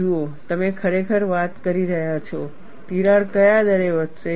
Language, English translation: Gujarati, See, you are really talking about, at what rate the crack would grow